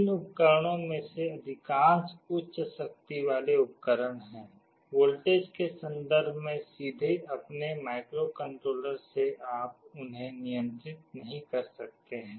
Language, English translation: Hindi, Most of these devices are high power devices, you cannot directly control them from your microcontroller in terms of voltages